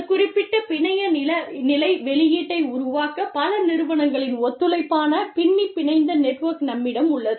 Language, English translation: Tamil, Then, we have interwoven networking, which is collaboration of several firms, to produce a particular network level output